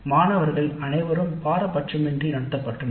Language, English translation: Tamil, All the students were treated impartially